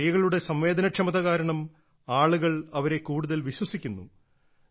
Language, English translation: Malayalam, Because of the sensitivity in women, people tend to trust them more